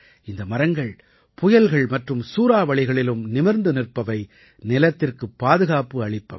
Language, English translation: Tamil, These trees stand firm even in cyclones and storms and give protection to the soil